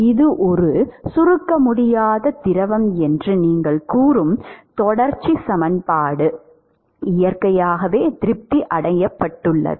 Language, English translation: Tamil, The continuity moment you say it is an incompressible fluid the continuity equation is naturally satisfied, right